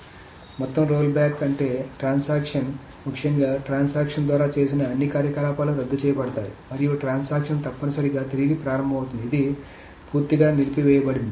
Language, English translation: Telugu, So total rollback means the transaction essentially all the operations done by the transaction are undone and the transaction essentially just restart